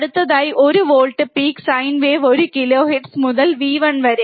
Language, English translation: Malayalam, Next apply one volt peak to peak, sine wave at one kilohertz to v 1